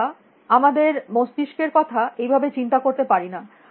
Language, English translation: Bengali, We do not tend to think of our brain in that fashion